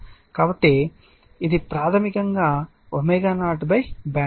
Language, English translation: Telugu, So, it is basically W 0 by BW bandwidth